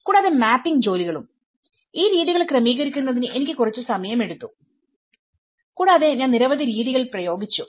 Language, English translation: Malayalam, And also the mapping exercises in fact, this to tailor these methods it took me some time and there are many methods which I have used